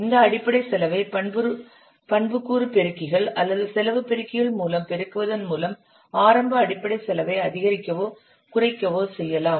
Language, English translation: Tamil, Then you what multiply the basic cost by these attribute multipliers or the cost multipliers which either may increase or decrease this initial basic cost